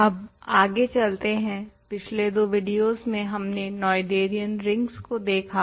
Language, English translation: Hindi, Let us continue now, in the last two videos we have looked at Noetherian rings